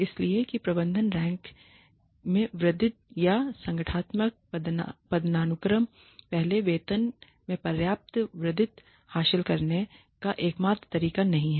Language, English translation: Hindi, So that moving into management ranks or up the organizational hierarchy is not the only way to achieve a substantial increase in pay